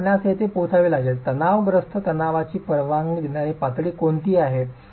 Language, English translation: Marathi, So, you have to arrive at what is the permissible level of compressive stress